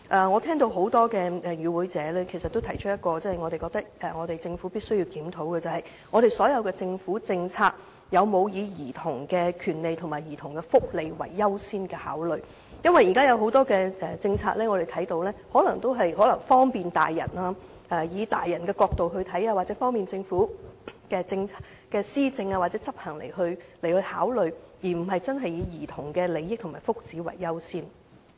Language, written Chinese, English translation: Cantonese, 我聽到多位與會者也提出了我們認為政府必須檢討的問題，就是政府的所有政策有否把兒童權利和福利列作優先考慮，因為我們看到現時可能有很多政策均以利便成年人的角度出發，又或是以利便政府施政或政策執行作考慮，而非真正以兒童的利益和福祉為依歸。, I have heard various participants in the meetings raise the following question which we think the Government must review Has the Government accorded priority consideration to childrens rights and welfare in all of its policies? . Because now we can see that many policies may be perceived from the angle of bringing convenience to adults or facilitating the Governments administration or implementation of policies . They are not really based on the interests and well - being of children